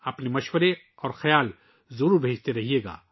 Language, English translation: Urdu, Do keep sending your suggestions and ideas